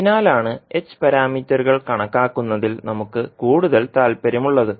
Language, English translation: Malayalam, That is why we have more interested into the h parameters calculation